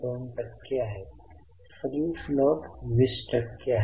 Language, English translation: Marathi, Free float is 20 percent